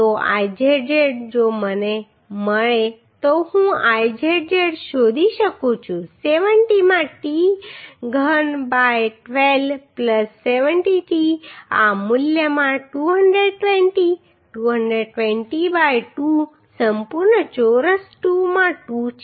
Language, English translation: Gujarati, So Izz if I find I can find Izz as 70 into t cube by 12 plus 70t into this value is 220 220 by 2 whole square right into 2 those two sides